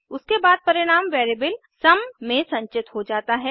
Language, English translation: Hindi, The result is then stored in variable sum